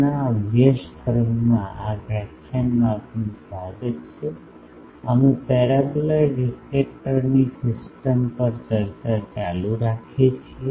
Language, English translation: Gujarati, Welcome to this lecture in NPTEL course, we are continuing the discussion on reflect Paraboloid Reflector system